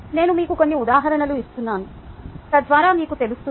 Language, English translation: Telugu, i am just giving you some examples so that you would know the second examples